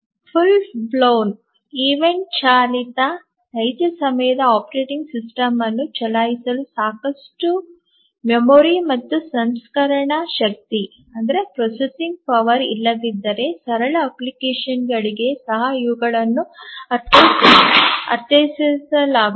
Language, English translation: Kannada, These are also meant for simple applications where there is not enough memory and processing power to run a full blown event driven real time operating system